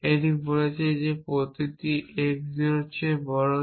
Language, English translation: Bengali, So, I could write for all x greater than x e